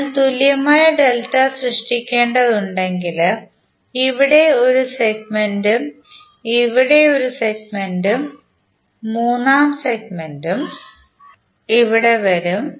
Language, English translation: Malayalam, So if you have to create equivalent delta there will be onE1 segment here, onE1 segment here and third segment would come here